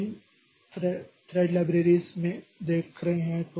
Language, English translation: Hindi, So we'll be looking into this thread libraries